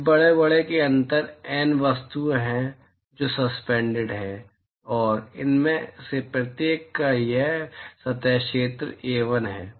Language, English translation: Hindi, There are N objects which are suspended inside these this large enclosure and this surface area of each of these is A1